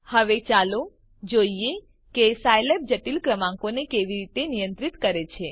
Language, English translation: Gujarati, Now, let us see how Scilab handles complex numbers